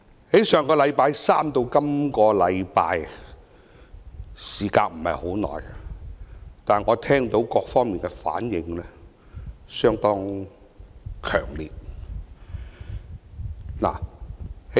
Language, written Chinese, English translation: Cantonese, 從上星期三至這星期，我聽到各方的反應相當強烈。, Since last Wednesday up through this week I have heard quite strong responses from various sides